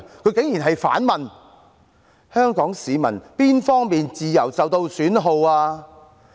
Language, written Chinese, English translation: Cantonese, 她竟然反問香港市民哪方面的自由受到損耗？, She went so far as to ask what freedom of Hongkongers has been undermined